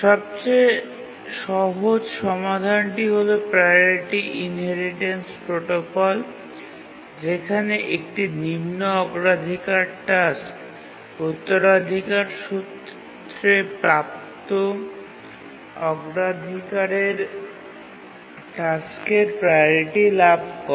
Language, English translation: Bengali, The simplest solution is the priority inheritance protocol where a low priority task inherits the priority of high priority task waiting for the resource